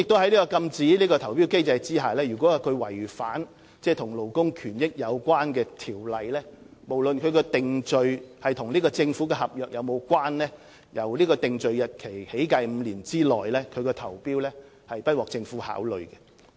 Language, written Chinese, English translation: Cantonese, 在禁止投標機制下，如承辦商違反與勞工權益有關的條例，無論其定罪是否與政府合約有關，均由定罪日期起計的5年內，不獲政府考慮其所作投標。, Under the barring from tender mechanism should a contractor contravene any ordinance related to labour rights and benefits his tender submission will not be considered by the Government in the five - year period commencing from the conviction date regardless of whether the relevant conviction is related to a government service contract